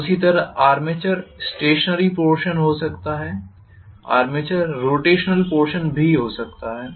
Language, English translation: Hindi, The same way armature could be stationary, armature could be rotating